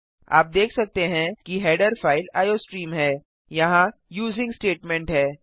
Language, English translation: Hindi, You can see that the header file is iostream Here is the using statement